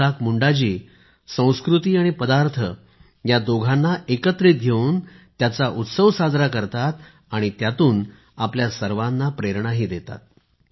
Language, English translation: Marathi, Isaak Munda ji is celebrating by blending culture and cuisine equally and inspiring us too